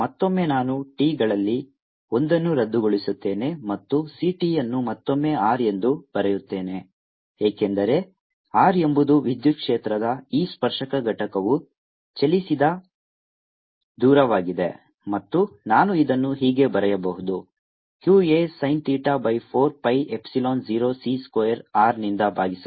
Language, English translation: Kannada, again, i'm going to cancel one of the t's and right c t has r can, because r is the distance of which this tangential component of electric field has moved, and i can write this as q a sin theta divided by four pi epsilon zero, c square, r